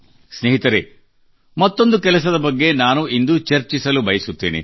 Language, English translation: Kannada, Friends, I would like to discuss another such work today